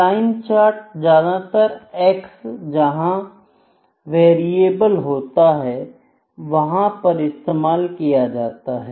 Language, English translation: Hindi, Line charts are often used to illustrated trend, where X is variable